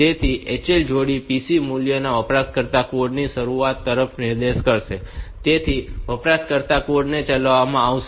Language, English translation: Gujarati, So, the HL pair, pc value will be pointing to the start of the user code